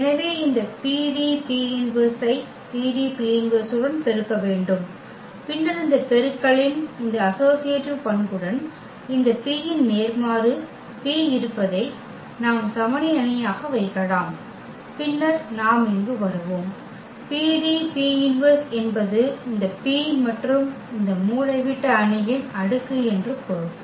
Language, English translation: Tamil, So, we need to multiply this PDP inverse with the PDP inverse and then with this associativity property of this product we will realize here that this P inverse, P is there which we can put as the identity matrix and then we will get here P D and D P inverse meaning this P and the power of this diagonal matrix